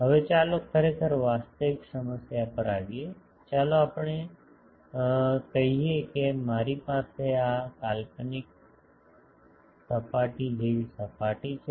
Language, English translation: Gujarati, Now, let us come to the actually actual problem; is let us say that I have a surface like this hypothetical surface